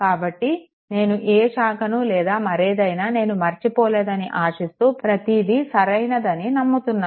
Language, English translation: Telugu, So, hope I have not missed any branch or anything hope everything is correct I believe right